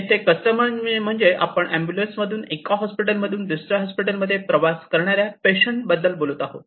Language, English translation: Marathi, A customers means, we are talking about the patients who are onboard the ambulances traveling from one hospital to another hospital